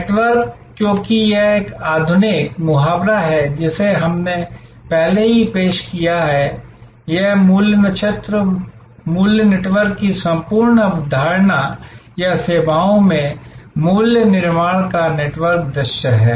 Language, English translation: Hindi, Network, because this is a modern idiom that we have already introduced, this the whole concept of value constellation and value networks or the network view of value creation in services